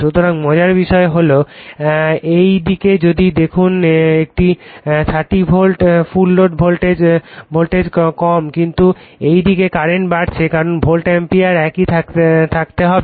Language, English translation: Bengali, So, interestingly if you see this side it is your 30 volt right full load voltage has low, but at the same time if current has increased because volt ampere has to remain your same